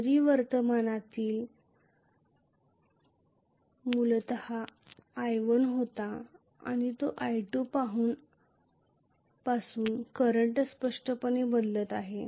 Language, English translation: Marathi, Whereas the current is very clearly changing from maybe originally it was i1 and here it is i2